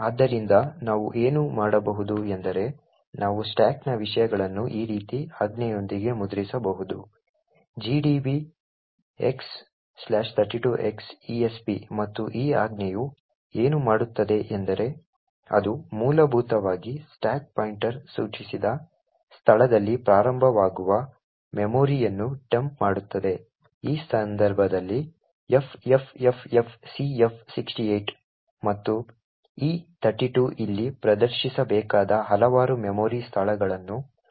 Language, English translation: Kannada, the contents of the stack with a command like this x slash 32x dollar esp and what this command does is that it essentially dumps the memory starting at the location specified by the stack pointer which in this case is ffffcf68 and this 32 over here indicates a number of memory locations that needs to be displayed